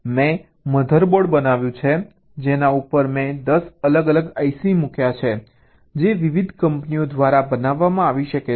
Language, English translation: Gujarati, i have manufactured ah mother board on which i have put, let say, ten different i c is which may be manufactured by different companies